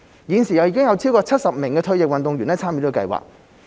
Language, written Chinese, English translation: Cantonese, 現時有超過70名退役運動員參與計劃。, At present there are over 70 retired athletes participating in RATP